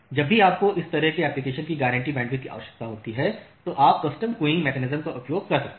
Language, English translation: Hindi, So, whenever you require guaranteed bandwidth like this video kind of application you can use custom queuing mechanism